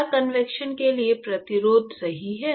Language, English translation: Hindi, Is a resistance for convection right